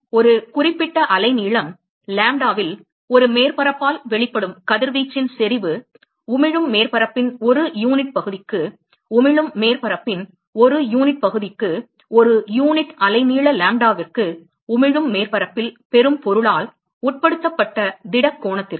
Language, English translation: Tamil, Intensity of radiation emitted by a surface at a certain wavelength lambda, per unit area of the emitting surface per unit area of the emitting surface, per solid angle subtended by the receiving object on the emitting surface per unit wavelength lambda